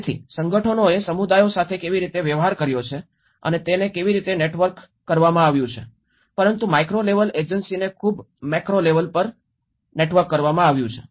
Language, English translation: Gujarati, So, how the organizations have dealt with the communities and how it has been networked but very macro level to the micro level agency